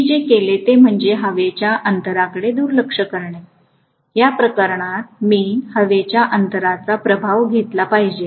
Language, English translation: Marathi, What I have done is, to neglect the air gap; very clearly I should have taken the air gap effect in this case